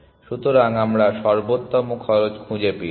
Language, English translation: Bengali, So, we found the optimal cost